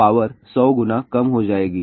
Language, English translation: Hindi, Power will decrease by 100 times